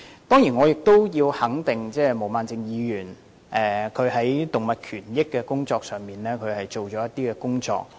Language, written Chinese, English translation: Cantonese, 當然，我要肯定毛孟靜議員在動物權益方面做了一些工作。, I certainly have to acknowledge that Ms Claudia MO has devoted a lot of effort to animal rights